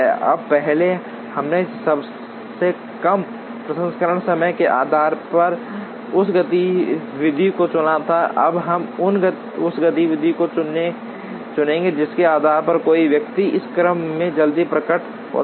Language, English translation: Hindi, Now, earlier we chose that activity based on shortest processing time, now we will choose the activity based on which one appears early in this order